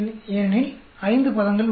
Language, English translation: Tamil, Because there are 5 terms